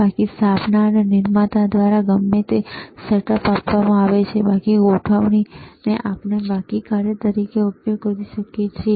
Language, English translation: Gujarati, Ddefault setup is whatever the setup is given by the manufacturer, default setup we can we can use as a default function